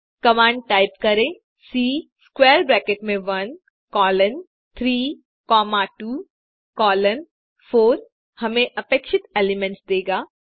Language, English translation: Hindi, Type the command C within square bracket 1 colon 3 comma 2 colon 4 will give us the required elements